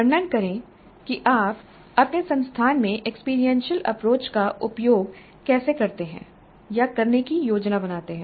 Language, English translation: Hindi, Describe how you use or plan to use experiential approach in your institution